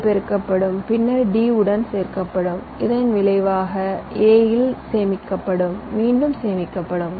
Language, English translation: Tamil, they would get multiplied, then added with d and the result will be stored in a, which again would be stored here